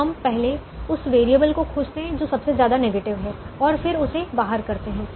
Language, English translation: Hindi, so we first find that variable which is most negative and say that variable goes out